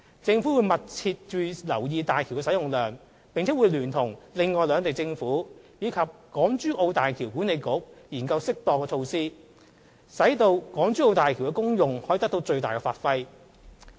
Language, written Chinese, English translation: Cantonese, 政府會密切留意大橋的使用量，並會聯同另外兩地政府及大橋管理局研究適當措施，讓港珠澳大橋的功用得到最大發揮。, In conjunction with the governments of the other two regions and the HZMB Authority the Government will explore suitable measures to bring the benefits of HZMB into full play